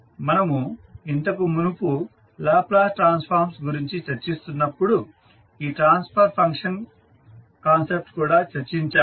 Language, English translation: Telugu, This transfer function concept we have already discussed when we were discussing about the Laplace transform